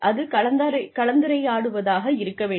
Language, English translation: Tamil, It is supposed to be a dialogue